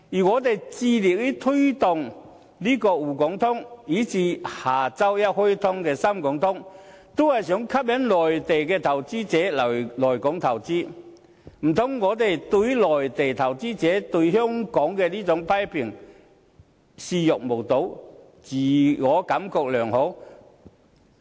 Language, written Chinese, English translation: Cantonese, 我們致力推動滬港通，以至下周一開通的深港通，都是為吸引內地投資者來港投資，難道我們可以對於內地投資者對香港的這種批評視若無睹，自我感覺良好？, The reason why we have put in so many efforts to promote the Shanghai - Hong Kong Stock Connect and the Shenzhen - Hong Kong Stock Connect due to be launched next Monday is that we want to attract inward investment from the Mainland . Therefore should we still tell ourselves that all is fine and simply ignore such criticisms about Hong Kong from Mainland investors?